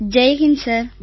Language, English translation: Tamil, Jai Hind Sir